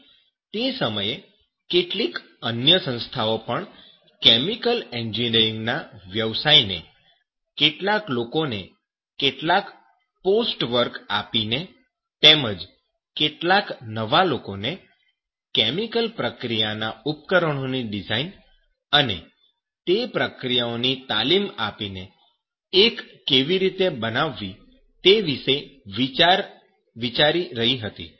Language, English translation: Gujarati, And at that time some other organization also was thinking about how to make that one profession of chemical engineering by giving some post work, some peoples also some new peoples are giving the training of that chemical process equipment design as well as those reactions